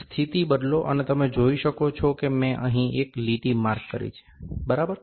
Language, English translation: Gujarati, Change the position, you can see I have marked a line here, this line if it is seen, ok